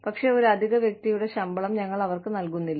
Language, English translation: Malayalam, But, we do not pay them, the salary, of an additional person